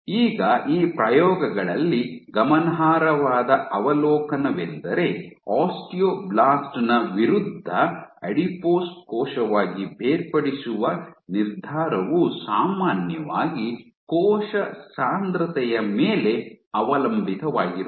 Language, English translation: Kannada, So, now one of the striking observations in these experiments is that the decision to differentiate into an adipose cell versus an osteoblast is often dependent on the “Cell Density”